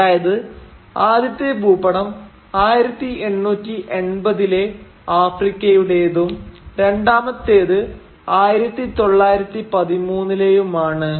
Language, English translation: Malayalam, So the first map is how Africa looked in 1880 and the second map gives you the date 1913